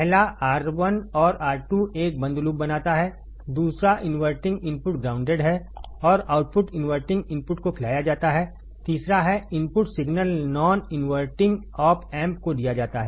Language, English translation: Hindi, One is R 1 and R 2 forms a closed loop; second the inverting input is grounded and output is fed to the inverting input; third is the input signal is given to the non inverting opamp